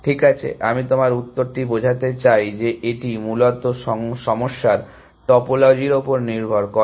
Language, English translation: Bengali, Well, I take your answer to mean it depends on the topology of the problem essentially